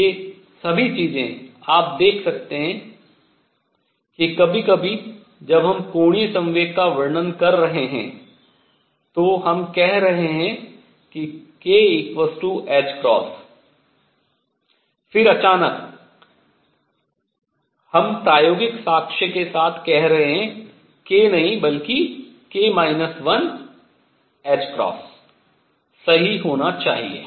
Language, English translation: Hindi, And all these things you can see that sometimes when we are describing angular momentum we are saying k equals h cross then suddenly we are saying with experimental evidence, there should be not k h cross, but k minus 1 h cross right